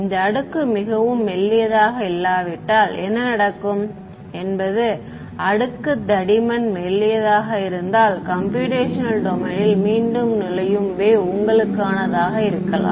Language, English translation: Tamil, In case this layer is not is not is very thin then what will happen is you may have a wave that enters back into the computational domain if the layer thickness is thin right